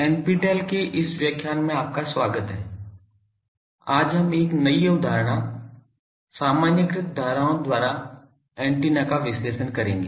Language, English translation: Hindi, Welcome to this lecture on NPTEL, we will today discuss a new concept the Analysis of Antennas by Generalised currents